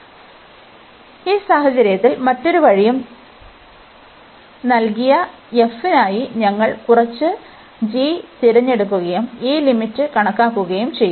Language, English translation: Malayalam, So, in this case we will choose some g for given f for the other way around, and compute this limit